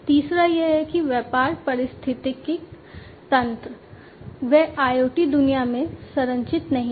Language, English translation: Hindi, The third one is that the business ecosystems, they are not structured in the IoT world